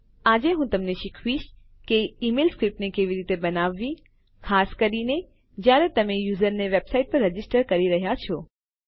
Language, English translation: Gujarati, Today I will teach you how to create an email script particularly when you are registering a user onto a website